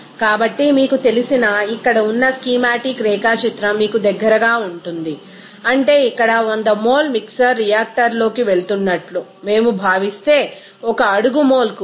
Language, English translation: Telugu, So, as part this you know, schematic diagram here are closer to you can see that means here if we consider that 100 mole of mixer is going into the reactor out of is that 8